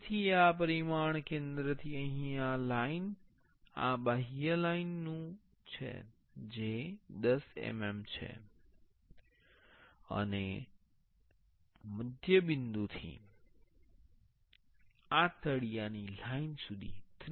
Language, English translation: Gujarati, So, this dimension is from the center to here this line this outer line that is 10 mm; and from the center point to this bottom line that is 30 mm